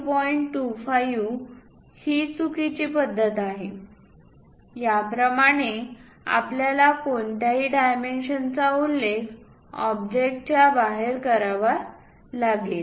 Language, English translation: Marathi, 25 this is wrong practice, you have to mention any dimension outside of the object like this